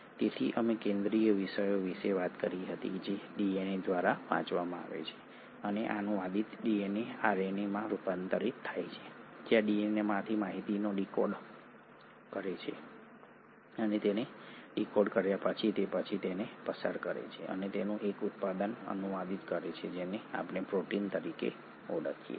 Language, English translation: Gujarati, So we did talk about the central thematic that is DNA is read by and translated DNA is converted to RNA where kind of decodes the information from DNA and having decoded it, it then passes it on and translates it into a product which is what we call as the protein